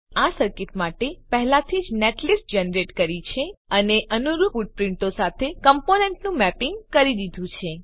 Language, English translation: Gujarati, We have already generated the netlist for this circuit, and done mapping of components with corresponding footprints